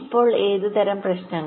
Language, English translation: Malayalam, so what kind of problems